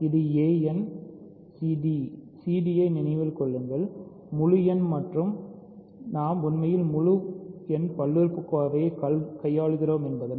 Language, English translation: Tamil, This is a n c d; c d remember are integers and because we are really dealing with integer polynomials